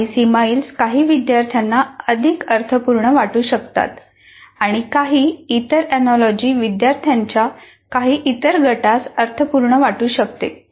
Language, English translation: Marathi, Some simile may make more sense to some students and some other analogy may make more sense to some other group of students